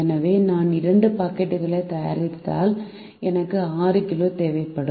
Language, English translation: Tamil, so if i make two packets, i would require require six kg